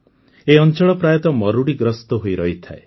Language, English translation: Odia, This particular area mostly remains in the grip of drought